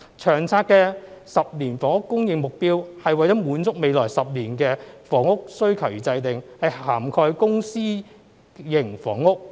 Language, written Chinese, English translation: Cantonese, 《長策》的10年房屋供應目標，是為了滿足未來10年房屋需求而制訂，是涵蓋公私營房屋。, The 10 - year housing supply target of LTHS is designed to meet the housing demand in the next 10 years covering both public and private housing production